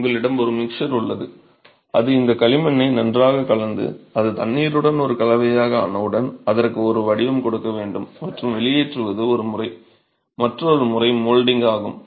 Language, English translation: Tamil, So you have a mixer which mixes these clay as well and then once it is made into a mixture with water you then have to give a form to it and extrusion is one method